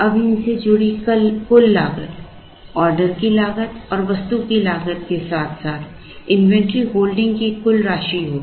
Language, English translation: Hindi, Now, the total cost associated with this will be sum of order cost plus inventory holding cost plus cost of the item